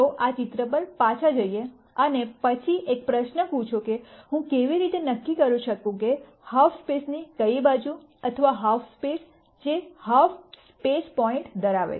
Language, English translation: Gujarati, Let us go back to this picture and then ask the question as to how do I determine which side of a half plane or a half space, which half space does a point lie in